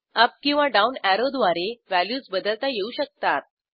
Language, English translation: Marathi, Values can be changed by using the up or down arrows